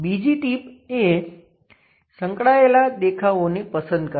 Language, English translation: Gujarati, The second tip is select the adjacent view